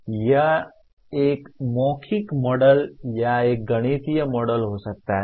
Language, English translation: Hindi, It could be a verbal model or a mathematical model